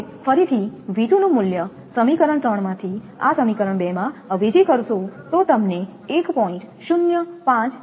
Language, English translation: Gujarati, Now, again substituting this value of V 2 from equation 3 from this equation in equation two then you substitute in equation two then you will get 1